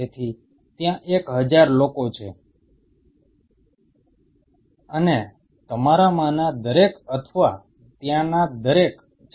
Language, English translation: Gujarati, So, there is a thousand people and each one of you or each one of there are